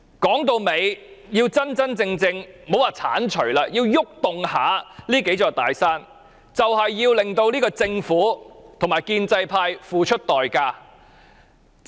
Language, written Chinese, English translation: Cantonese, 說到底，如果我們想移動這數座"大山"，也莫說要剷除了，我們要令政府和建制派付出代價。, After all if we want to move these few mountains not to mention levelling them we must make the Government and the pro - establishment camp pay the price